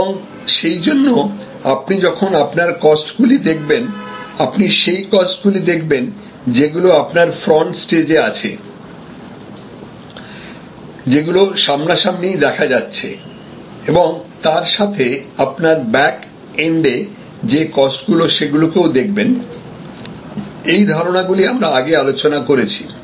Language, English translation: Bengali, And therefore, when you look at your costs, you should look at costs, which are on the front stage; that means, in the visible domain and costs at the backend or backstage, these concepts we have discussed earlier